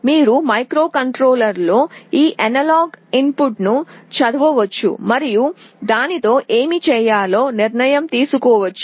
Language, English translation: Telugu, You can read this analog input in the microcontroller and take a decision what to do with that